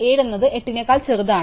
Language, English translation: Malayalam, 7 is not bigger than 8, 7 is smaller than 8